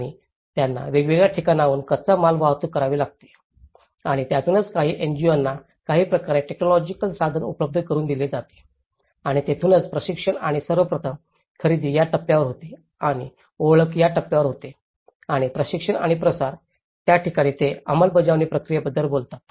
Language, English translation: Marathi, And they have to transport raw materials from different places, and that is where some NGOs also are provided some kind of technical means and this is where the training and so first of all procurement happens at this stage and identification happens at this stage and the training and dissemination and that is where they talk about the implementation process